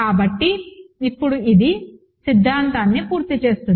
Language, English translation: Telugu, So, now this does complete the theorem